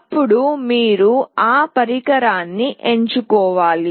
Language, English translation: Telugu, Then you have to select that device